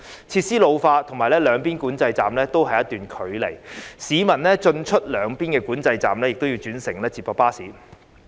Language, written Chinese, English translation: Cantonese, 設施老化，以及兩邊管制站有一段距離，市民進出兩邊的管制站均要轉乘接駁巴士。, In addition to its ageing facilities due to the certain distance between the two sides of the control port passengers need to take shuttle buses to travel between two sides